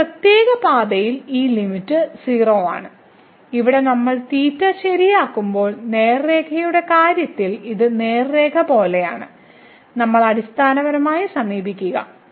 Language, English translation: Malayalam, So, in some particular path this limit is 0; where we are fixing the theta it is like the straight line in the case of the straight line when we are fixing the theta, we are basically approaching towards